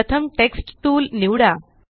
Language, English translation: Marathi, First, lets select the Text tool